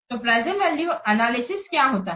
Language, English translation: Hindi, So, what do you mean by present value analysis